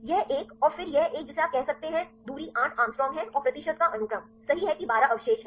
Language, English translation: Hindi, This one and then this one you can say distance is eight angstrom and the sequence of percentage, right that is 12 residues